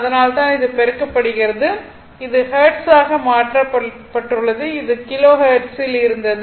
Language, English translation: Tamil, So, that is why this, this is multiplied by it is a converted to Hertz it was Kilo Hertz